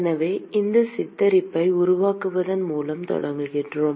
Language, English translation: Tamil, So, we start by making this depiction